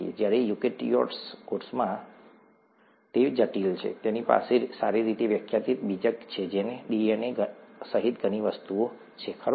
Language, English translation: Gujarati, Whereas in the eukaryotic cell, it's complex, it has a well defined nucleus that contains many things including DNA, right